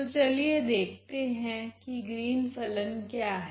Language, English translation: Hindi, So, let us see what are these Green’s function